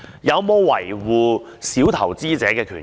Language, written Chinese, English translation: Cantonese, 有否維護小投資者的權益？, Have the rights and interests of small investors been safeguarded?